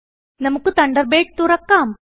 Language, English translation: Malayalam, Lets launch Thunderbird